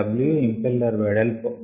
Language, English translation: Telugu, w is the width of impeller